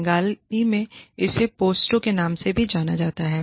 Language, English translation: Hindi, In Hindi, it is also, it is known as, Posto in Bengali